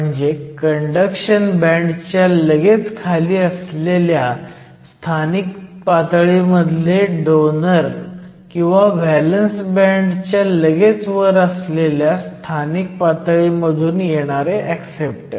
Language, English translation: Marathi, So, your donors from localized states just below the conduction band and the acceptors from localized states just about the valence band